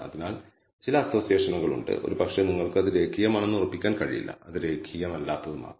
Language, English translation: Malayalam, So, there is some association, but perhaps the association you cannot definitely conclude it is linear it may be non linear